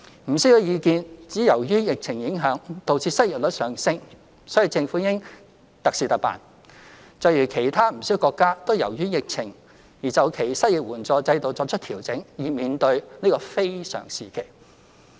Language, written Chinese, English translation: Cantonese, 不少意見指由於疫情影響，導致失業率上升，所以政府應特事特辦，就如其他不少國家皆由於疫情而就其失業援助制度作出調整，以面對這個非常時期。, There are views that under such exceptional circumstances where unemployment is exacerbated by the epidemic the Government should make exceptional arrangements to deal with the issue just as many other countries have made adjustments to their unemployment assistance systems due to the pandemic during these difficult times